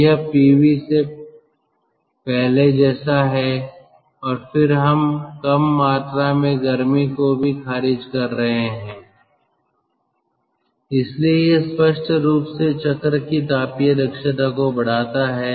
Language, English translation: Hindi, so this is just like before pv, and then we are also rejecting less amount of heat, so this obviously increases the thermal efficiency of the cycle